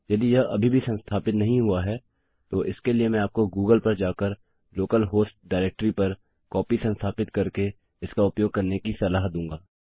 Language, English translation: Hindi, If it isnt installed yet, I would suggest you google it and install a copy on the local host directory and start using it